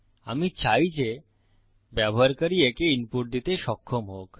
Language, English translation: Bengali, I want the user to be able to input this